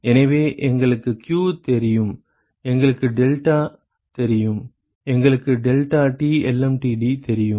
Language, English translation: Tamil, So, we know q, we know delta we know deltaT lmtd ok